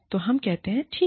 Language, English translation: Hindi, So, we say, okay